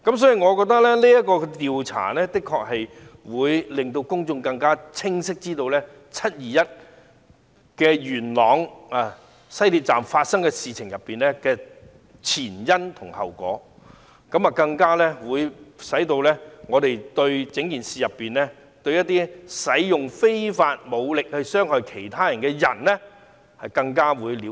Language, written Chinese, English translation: Cantonese, 所以，我認為進行調查可以讓公眾更清晰地知道，在元朗西鐵站發生的"七二一"事件的前因後果，讓我們對事件中使用非法武力傷害他人的人士有更多了解。, Therefore I think conducting an investigation can give the public a better picture about the ins and outs of the 21 July incident at Yuen Long Station of the West Rail Line as well as the people who used unlawful force to harm others during the incident